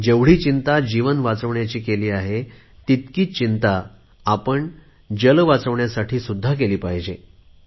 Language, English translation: Marathi, We are so concerned about saving lives; we should be equally concerned about saving water